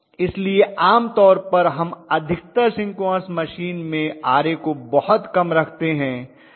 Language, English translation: Hindi, So normally we are going to have very low values of Ra in most of the synchronous machine